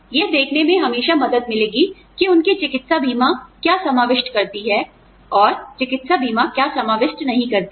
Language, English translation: Hindi, It will always help to see, what their medical insurance covers, and give them, what the medical insurance does not cover